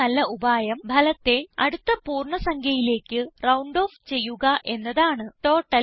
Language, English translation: Malayalam, The best solution is to round off the result to the nearest whole number